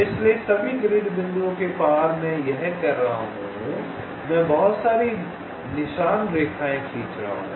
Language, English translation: Hindi, so, across all the grid points i am doing this, i am drawing so many trail lines